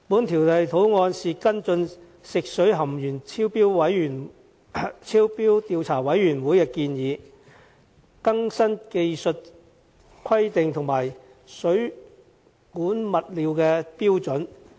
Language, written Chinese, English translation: Cantonese, 《條例草案》是跟進食水含鉛超標調查委員會的建議，更新技術規定和水管物料的標準。, The Bill seeks to follow up the recommendations of the Commission of Inquiry into Excess Lead Found in Drinking Water to update the technical requirements and plumbing material standards